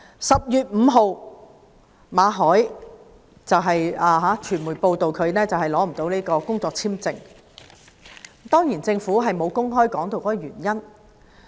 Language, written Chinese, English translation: Cantonese, 10月5日，傳媒報道馬凱的工作簽證不獲續期，而政府當然沒有公開箇中原因。, On 5 October the media reported that the work visa of Victor MALLET was not renewed and the Government certainly did not disclose the reason for that